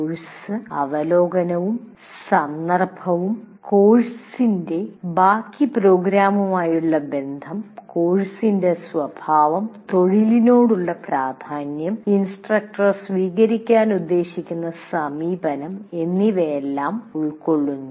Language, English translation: Malayalam, Relationship of the course to the rest of the program, the nature of the course, its importance to the profession, and the approach proposed to be taken by the instructor